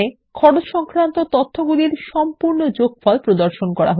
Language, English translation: Bengali, The data under Costs as well as the grand total is displayed